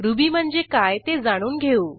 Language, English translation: Marathi, Now I will explain what is Ruby